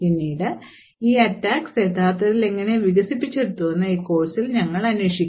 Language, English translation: Malayalam, Later on, in this course we will be actually looking how these attacks are actually developed